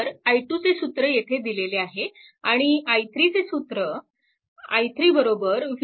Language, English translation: Marathi, So, i 2 expression is given here right and i 3 and i 3 is equal to your v 2 upon 0